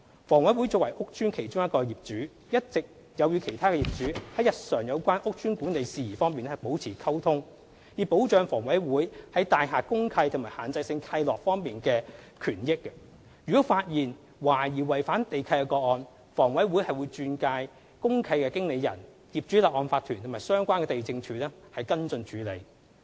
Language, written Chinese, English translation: Cantonese, 房委會作為屋邨的其中一個業主，一直有與其他業主在日常有關屋邨管理事宜方面保持溝通，以保障房委會在大廈公契及限制性契諾方面的權益，如果發現懷疑違反地契的個案，房委會會轉介公契經理人、業主立案法團及相關地政處跟進處理。, HA as one of the owners of housing estates maintains communication with other owners on matters relating to the daily management of such estates with a view to protecting its rights under the deeds of mutual covenant DMCs and the restrictive covenants . Any suspected breach of land leases identified by HA will be referred to DMC Managers Owners Corporation and the relevant District Lands Offices for follow - up